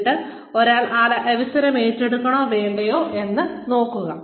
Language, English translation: Malayalam, And then, see whether, one wants to take up, that opportunity or not